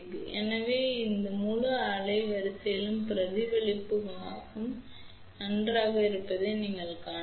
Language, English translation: Tamil, So, you can see that reflection coefficient is good over this entire bandwidth